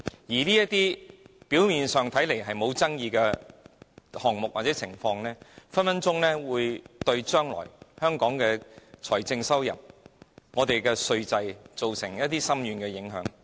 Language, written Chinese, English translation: Cantonese, 這些表面上看似沒有爭議的項目或情況，很可能會對香港未來的財政收入或稅制造成深遠影響。, Yet it is probable that those seemingly controversial items or scenarios may actually have profound and far - reaching impact on Hong Kongs fiscal revenue or tax regime in the future